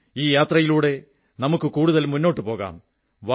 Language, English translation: Malayalam, Come on, let us take this journey further